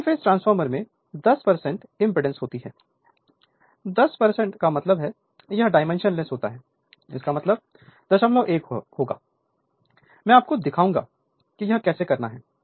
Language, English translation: Hindi, Single phase transformer has 10 percent impedance, 10 percent means it is dimensionless; that means 0